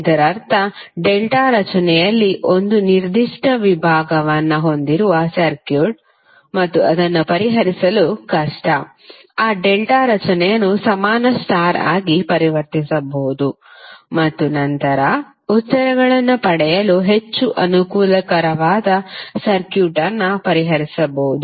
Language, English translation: Kannada, It means that the circuit which has 1 particular segment in delta formation and it is difficult to solve, you can convert that delta formation into equivalent star and then you can solve the circuit which is more convenient to get the answers